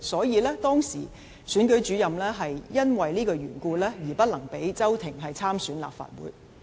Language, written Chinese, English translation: Cantonese, 因此，當時的選舉主任基於這原故而不能讓周庭參選立法會。, On such grounds the then incumbent returning officer could not allow Agnes CHOW to stand in the Legislative Council Election